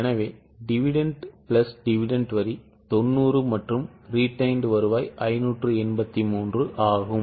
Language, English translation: Tamil, So, dividend plus dividend tax is 90 and retained earnings is 583